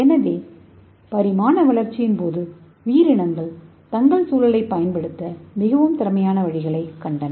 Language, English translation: Tamil, So over the course of evolution many organisms gain more efficient ways to use their environment